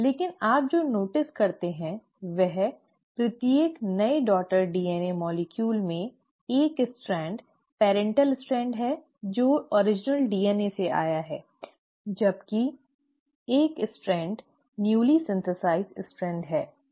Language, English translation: Hindi, But what you notice is in each new daughter DNA molecule one strand is the parental strand which came from the original DNA while one strand is the newly synthesised strand